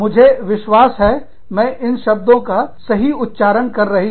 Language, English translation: Hindi, I hope, i am pronouncing these terms, right